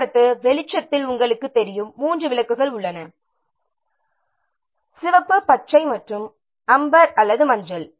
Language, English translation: Tamil, As you know, in traffic light there are three lights are there, red, green and amber or yellow